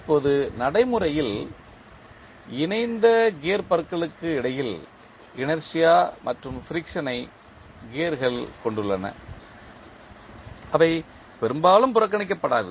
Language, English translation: Tamil, Now, in practice the gears also have inertia and friction between the coupled gear teeth and that often cannot be neglected